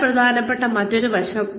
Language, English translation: Malayalam, Another very important aspect